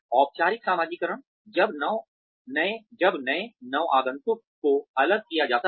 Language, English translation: Hindi, Formal socialization is, when new newcomers are segregated